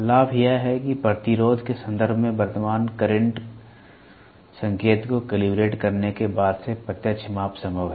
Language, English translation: Hindi, The advantage is that the direct measurement is possible since the current flow indication is calibrated in terms of resistance